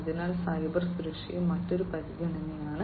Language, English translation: Malayalam, So, cyber security is also another consideration